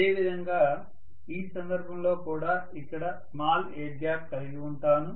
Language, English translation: Telugu, In this case similarly I will have a small air gap here